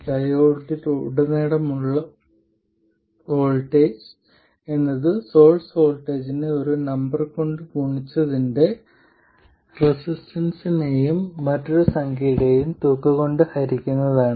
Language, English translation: Malayalam, The voltage across the diode is the source voltage times some number divided by a resistance plus some other number